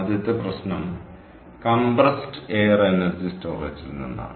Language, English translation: Malayalam, ok, so the first problem that i have, ah is from compressed air energy storage